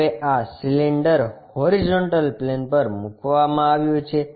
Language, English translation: Gujarati, Now, this cylinder is placed on horizontal plane